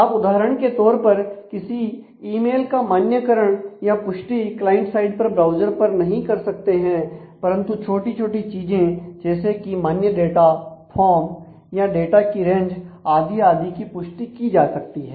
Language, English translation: Hindi, You cannot for example, validate a mail data based on the client side scripting sitting on the browser, but you can validate small things like valid data forms, range of data and so, on